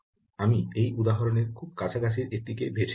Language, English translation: Bengali, i just took the one that seems to be very close um to this example